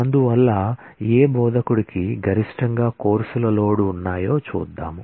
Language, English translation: Telugu, And so, let us see which instructor has a maximum load of courses